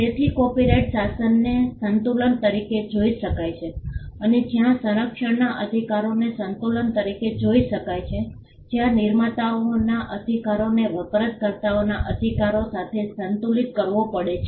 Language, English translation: Gujarati, So, copyright regime can be seen as a balance where the rights of the protect can be seen as a balance where the rights of the creators have to be balanced with the rights of the users